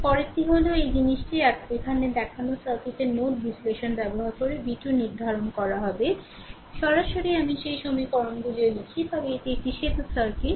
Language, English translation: Bengali, Next one is determine v 2 using node analysis of the circuit shown in figure this thing right here also directly I write those equations, but this this is a this is a bridge circuit right